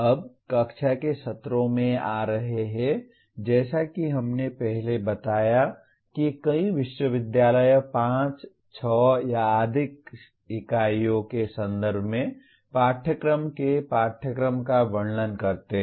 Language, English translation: Hindi, Now coming to the classroom sessions as we stated earlier many universities describe the syllabi of the courses in terms of 5, 6 or more units